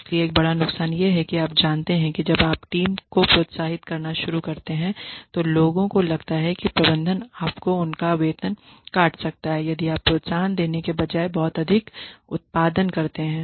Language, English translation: Hindi, So, one big disadvantage is that you know when you start incentivizing the team then people feel that the management might cut their salaries if you produce too much instead of giving you the incentives